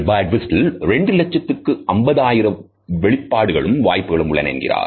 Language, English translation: Tamil, Birdwhistell has claimed that up to 2,50,000 expressions are possible